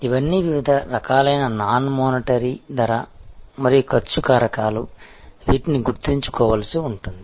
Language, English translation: Telugu, These are all different types of non monitory price and cost factors, which one will have to remember